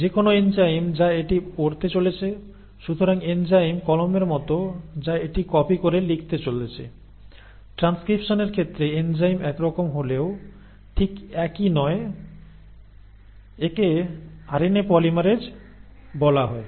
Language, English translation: Bengali, Now whatever is the enzyme which is going to read it; so enzyme is like the pen which is going to copy it and write it down, now that enzyme in case of transcription is similar but not exactly same, similar, it is called as RNA polymerase